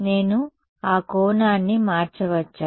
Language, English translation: Telugu, Can I change that angle